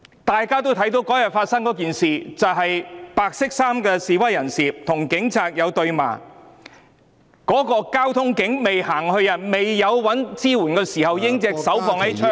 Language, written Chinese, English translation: Cantonese, 大家也看到，當天有一名白衫示威人士與警察對罵，然後該名交通警員在未尋求支援前，已經把手放在手槍上......, All of us could see that a white - clad protester and the traffic police officer were yelling at each other on that day and the traffic police officer had put his hand on the service revolver before seeking support